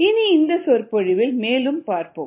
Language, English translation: Tamil, so let us move further in this lecture